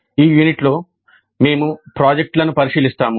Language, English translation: Telugu, In this unit we look at the projects